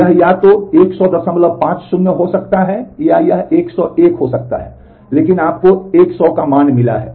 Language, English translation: Hindi, 50 or it can be 101, but you have got a value 100